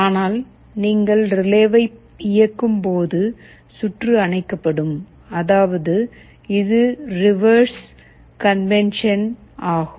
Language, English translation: Tamil, But, when you turn on the relay the circuit will be off; that means, just the reverse convention